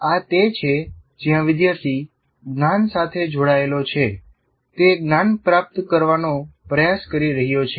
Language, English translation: Gujarati, These are the ones where the student is engaged with the knowledge that he is trying to acquire